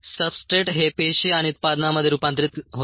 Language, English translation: Marathi, the ah substrates are converted into a cells and products